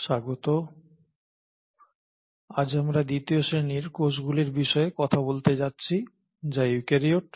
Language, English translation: Bengali, Welcome back and today we are going to talk about the second category of cells which are the eukaryotes